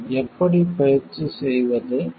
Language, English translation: Tamil, How to practice it